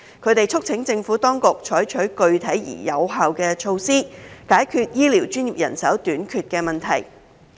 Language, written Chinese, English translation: Cantonese, 他們促請政府當局採取具體而有效的措施，解決醫療專業人手短缺的問題。, They urged the Administration to take concrete and effective measures to address the manpower shortage of healthcare professions